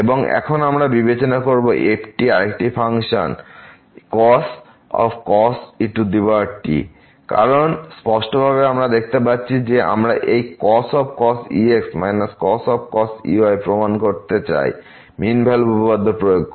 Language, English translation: Bengali, And, now we consider the ) another function power because clearly we can see that we want to prove this power minus power using mean value theorem